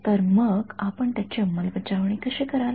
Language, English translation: Marathi, So, how would you implement it